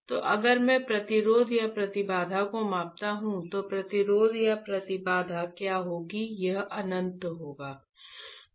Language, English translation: Hindi, So, if I measure the resistance right or impedance, what will be resistance or impedance, it would be; it would be infinite right